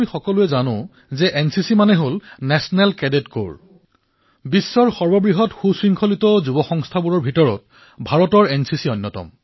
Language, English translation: Assamese, All of us know that India's National Cadet Corps, NCC is one of the largest uniformed youth organizations of the world